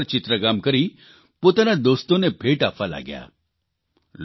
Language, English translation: Gujarati, After painting these stones, she started gifting them to her friends